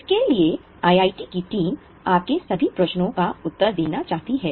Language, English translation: Hindi, So, the team from IITB would like to respond to all your queries